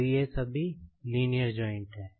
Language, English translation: Hindi, So, these are all linear joints